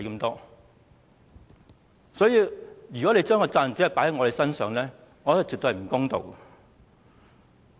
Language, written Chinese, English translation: Cantonese, 因此，如果將責任只放在我們身上，我認為絕不公道。, Hence I consider it absolutely unfair of the Government to place the responsibilities on us